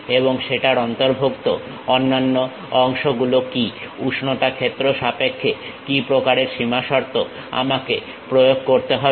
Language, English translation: Bengali, And what are the other components involved on that, what kind of boundary conditions in terms of temperature field I have to apply